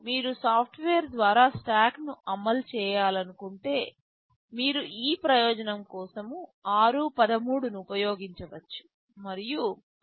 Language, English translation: Telugu, If you want to implement a stack yourself by software, you can use r13 for the purpose